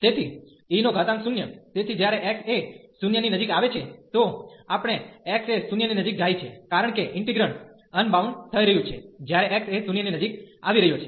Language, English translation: Gujarati, So, we will take x approaching to 0, because the integrand is getting unbounded, when x approaching to 0